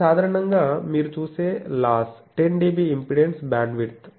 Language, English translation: Telugu, This is a return loss you see typically 10 dB is the impedance bandwidth